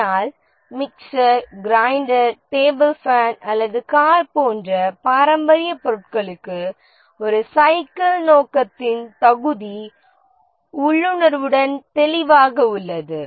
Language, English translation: Tamil, But for traditional items like a mixer, grinder, a table fan, or a car, a bicycle, the fitness of purpose is intuitively clear